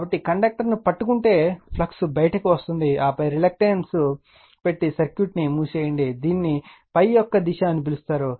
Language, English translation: Telugu, So, if you grab the conductor, the flux is coming out, and then you put the reluctance and close the circuit, and this is your what you call the direction of the phi